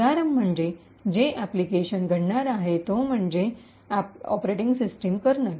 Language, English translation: Marathi, Example, is the application happens to be the operating system kernel